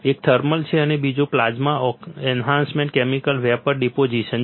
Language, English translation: Gujarati, One is thermal and another one is plasma enhanced chemical vapour deposition